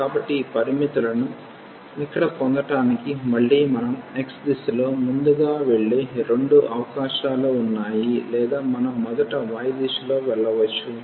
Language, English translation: Telugu, So, to get this these limits here again we have both the possibilities we can go first in the direction of x or we can go in the direction of y first